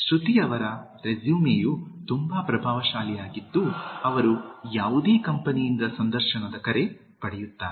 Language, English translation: Kannada, Shruti’s résumé is so impressive that she will get an interview call from any company